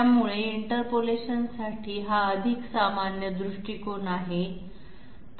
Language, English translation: Marathi, So it is much more generic approach to interpolation